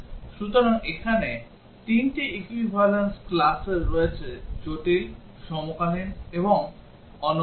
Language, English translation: Bengali, So, there are 3 equivalence classes here complex, coincident and unique